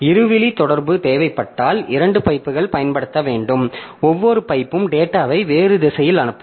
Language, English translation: Tamil, If two way communication is required, two pipes must be used with each pipe sending data in a different direction